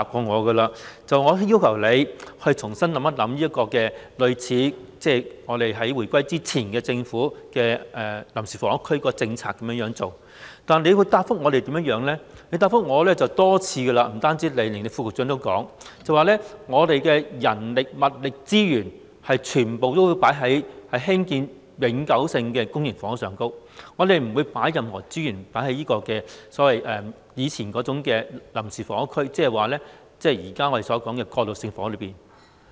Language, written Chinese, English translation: Cantonese, 我曾要求局長重新考慮採用回歸前的臨時房屋區政策，但陳帆局長多次答覆我——不單是他，連副局長也是這樣說——政府的人力、物力及資源全部都會放在興建永久性公營房屋上，不會投放任何資源推動以前稱為臨時房屋、即我們現時討論的過渡性房屋上。, I have urged Secretary Frank CHAN to consider reviving the temporary housing area policy before the reunification . The Secretary has responded to me many times . Not only he himself but also the Under Secretary have said that manpower material resources and resources will all be spent on permanent public housing development and no resources will be put in to revive the so - called temporary housing previously which is the transitional housing we are discussing